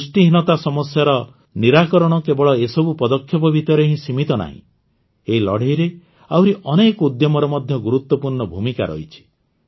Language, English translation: Odia, The solution to the malady of malnutrition is not limited just to these steps in this fight, many other initiatives also play an important role